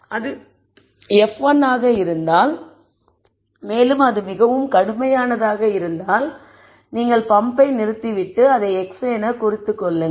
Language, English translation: Tamil, If it is f 1, if it is very severe then you stop the pump and then x it